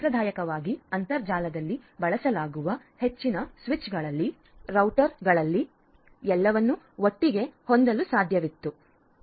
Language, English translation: Kannada, So, earlier traditionally in most of these switches, routers that are used in the internet conventionally used to have everything together